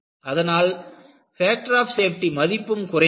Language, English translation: Tamil, So, increase the factor of safety